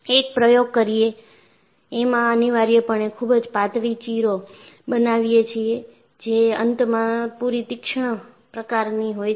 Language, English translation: Gujarati, In an experiment, you essentially make a very very thin slit, sharp enough at the end